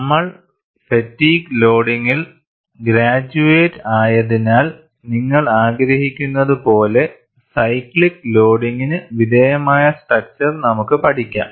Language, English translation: Malayalam, Then we graduated for fatigue loading when you want to study structure subject to cyclical load